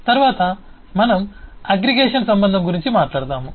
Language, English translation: Telugu, next we will talk about the relationship of aggregation